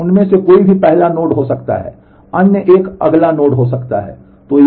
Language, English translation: Hindi, So, any one of them can be the first node other one can be the next node